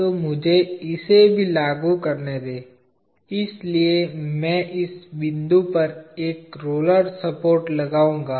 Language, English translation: Hindi, So, let me apply that also, so I will put a roller support at this point